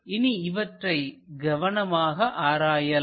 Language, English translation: Tamil, So, let us look at those carefully